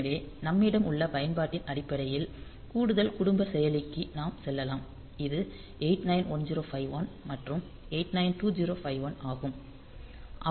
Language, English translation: Tamil, So, based on the application that we have we can have we can go for additional the higher family of processor and this 1 this a 8 9 1 0 5 1 and 8 9 2 0 5 1